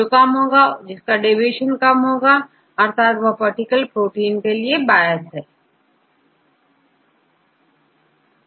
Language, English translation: Hindi, Whichever lower because the deviation lower that is biased with that particular protein